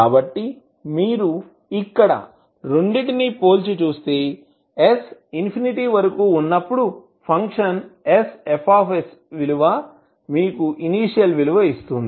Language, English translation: Telugu, So if you compare both of them here when s tends to infinity the value of function s F s will give you with the initial value